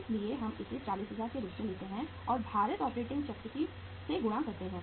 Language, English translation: Hindi, So we take it as 40000 uh and multiplied by weighted operating cycle